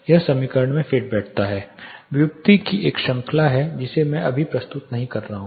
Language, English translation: Hindi, This fits in to the equation there is a series of derivation which I am not presenting right now